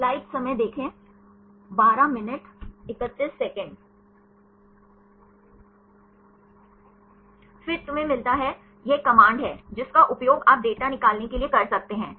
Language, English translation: Hindi, Then you get, this is a command; which you can use to extract the data